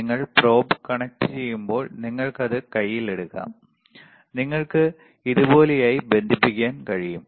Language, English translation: Malayalam, The probes are connected and when you connect the probe, you can take it in hand and you can connect it like this, yes